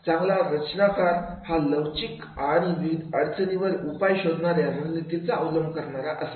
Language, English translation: Marathi, A good designer should be able to flexible use different problem solving strategies